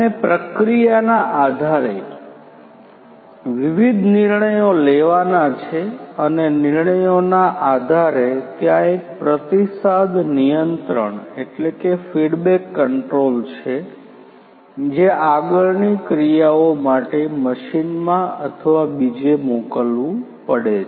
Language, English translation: Gujarati, And based on the processing the different decisions has to be made and based on the decisions there is a feedback control that has to be sent back to the machine or elsewhere for further actions